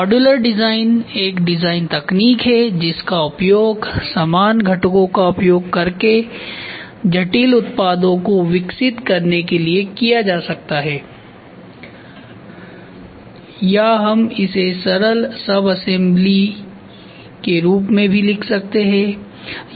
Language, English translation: Hindi, So, modular design is a design technique that can be used to develop complex products using similar components ok, or we can also write it as simpler subassembly